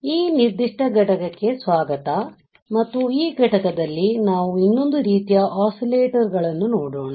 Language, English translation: Kannada, Hi, welcome to this particular module and in this module, we will see another kind of oscillator